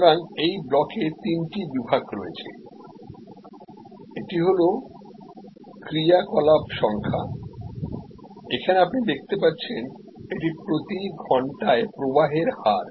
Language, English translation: Bengali, So, in this block there are three sections, the this one is the activity number, here as you can see here it is the flow rate per hour